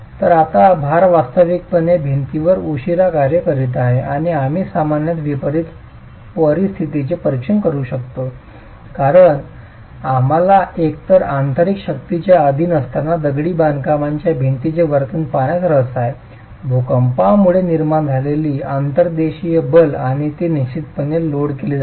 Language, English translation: Marathi, So now the load is actually acting laterally on the wall and we can examine typically in distributed conditions because we are interested in looking at the behavior of the masonry wall when subjected to either inertial forces, inertial forces generated due to an earthquake and that's distributed load